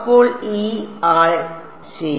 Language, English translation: Malayalam, So this guy ok